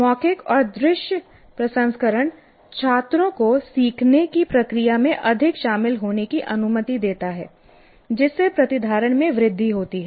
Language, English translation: Hindi, Verbal and visual processing allow students to become more involved in the learning process leading to increasing retention